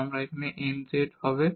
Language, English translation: Bengali, So, this is important this n here